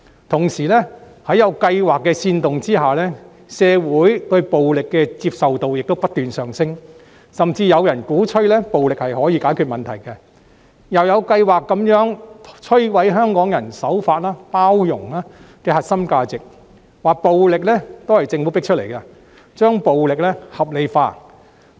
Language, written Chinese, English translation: Cantonese, 同時，在有計劃的煽動之下，社會對暴力的接受程度亦不斷上升，甚至有人鼓吹暴力可以解決問題，又有計劃地摧毀香港人守法、包容的核心價值，聲稱暴力是政府迫出來的，把暴力合理化。, Meanwhile with a plan to deliberately incite the public more and more people in the community have considered the use of violence acceptable and some have even advocated that violence could be used to solve problems . There have also been plans to systematically destroy the core values of Hong Kong people in being law - abiding and inclusive claiming that people have been forced by the Government to use violence thus rationalizing the use of violence